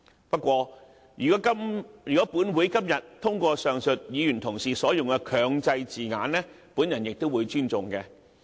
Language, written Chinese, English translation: Cantonese, 不過，如果立法會今天通過上述議員所用的"強制"字眼，我亦會尊重。, However I will still respect it if the word mandate used by the above Members is approved by the Council today